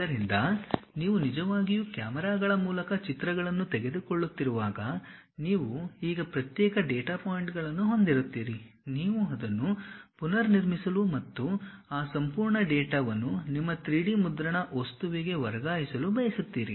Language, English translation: Kannada, So, when you are actually taking pictures through cameras, you will be having isolated data points now you want to reconstruct it and transfer that entire data to your 3D printing object